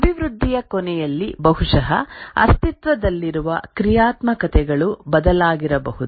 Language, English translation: Kannada, At the end of development, maybe the existing functionalities might have changed